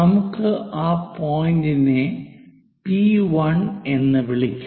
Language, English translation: Malayalam, So, let us label this point as P 1